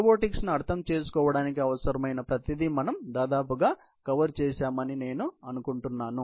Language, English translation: Telugu, I think we have covered more or less, everything that needed understanding in the robotics area